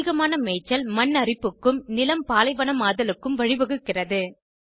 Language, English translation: Tamil, Overgrazing leads to desertification and soil erosion